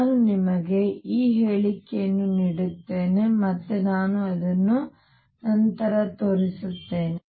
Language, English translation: Kannada, Let me give that statement to you and I will show it later